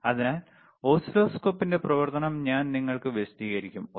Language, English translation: Malayalam, So, I will explain you the function of oscilloscope,